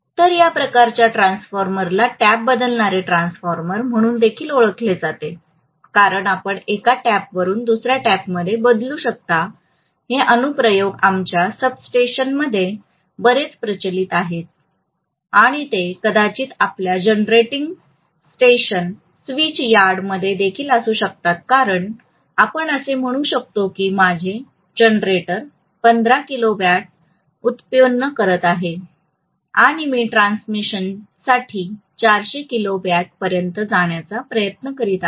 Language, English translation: Marathi, So this kind of transformer is also known as tap changing transformer because you may change from one tap to another these applications are very much prevalent in our substations and it may be there even in your generating stations switch yard because let us say my generator is generating 15 kilovolts and I am trying to step it up to 400 kilovolts for transmission